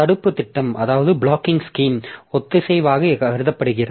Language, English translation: Tamil, So, blocking scheme is considered to be synchronous